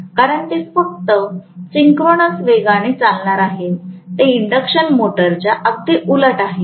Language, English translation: Marathi, Because it is going to run only at synchronous speed, it is exactly opposite of induction machine